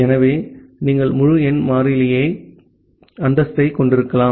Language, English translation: Tamil, So, you can have the status as integer variable